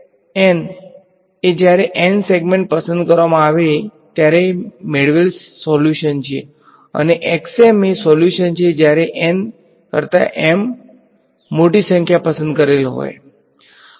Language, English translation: Gujarati, So, x n is the solution obtained when N segments chosen and x m therefore, is the solution with m larger number larger than N chosen